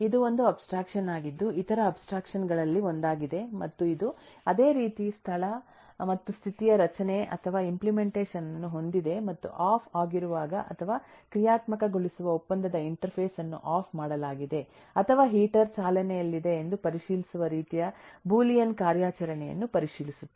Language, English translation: Kannada, it’s a abstraction, is one of the other abstractions and it has similarly a structure or implementation of location and status and the functionality or contractual interface of being turned on, being turned off or just checking, kind of a Boolean eh operation which checks whether the heater is running or it is off